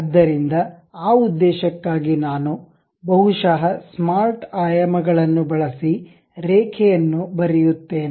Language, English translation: Kannada, So, for that purpose, I am drawing a line perhaps the using smart dimensions